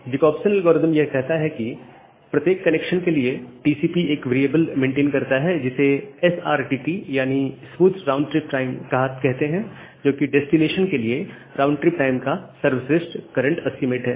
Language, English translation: Hindi, So, the Jacobson algorithm says that for each connection, TCP maintains are variable called SRTT the full form is Smoothed Round Trip Time which is the best current estimate of the round trip time to the destination